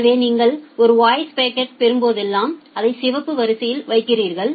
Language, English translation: Tamil, So, whenever you are getting a voice packet you are putting it in the say red queue